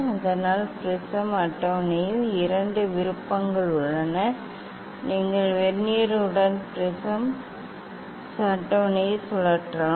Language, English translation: Tamil, So; prism table have two option you can rotate the prism table with Vernier